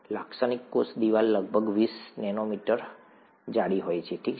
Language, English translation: Gujarati, Typical cell wall is about twenty nanometers thick, okay